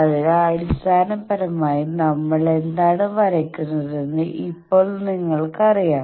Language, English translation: Malayalam, So basically, now you know what we are drawing